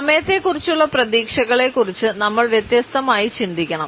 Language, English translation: Malayalam, And we really have to think differently about expectations around timing